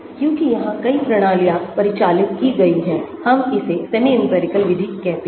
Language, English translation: Hindi, Because many systems here are parameterised, let us call the semi empirical method